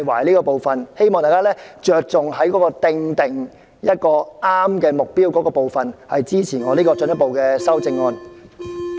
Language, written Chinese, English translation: Cantonese, 我希望大家着重於訂立合適目標這部分，支持我進一步的修正案。, I urge Members to focus on the setting of appropriate targets and support my further amendment